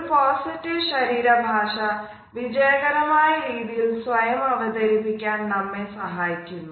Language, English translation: Malayalam, A positive body language helps us in projecting ourselves in a more successful manner